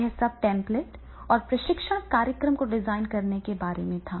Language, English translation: Hindi, So, this is all about the template and design training program